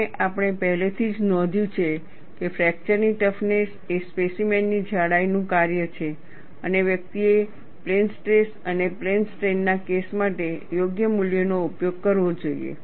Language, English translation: Gujarati, And we have already noted that, fracture toughness is a function of specimen thickness and one should use appropriate values for plane stress and plane strain cases